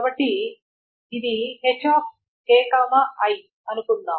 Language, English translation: Telugu, So suppose this is HKI